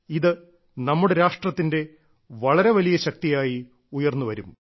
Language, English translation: Malayalam, This too will emerge as a major force for the nation